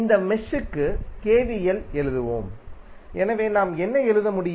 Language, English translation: Tamil, We will write KVL for this mesh, so what we can write